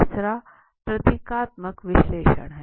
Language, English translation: Hindi, The third is the symbolic analysis